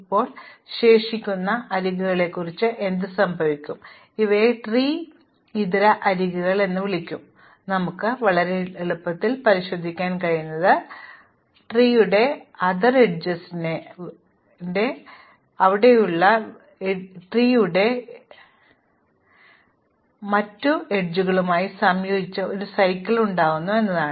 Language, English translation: Malayalam, Now, what happens about the remaining edges, well these are called non tree edges, what you can check very easily is that any non tree edge will combine with the tree edges already there to form a cycle